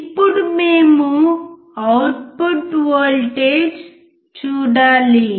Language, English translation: Telugu, Now, we have to see the output voltage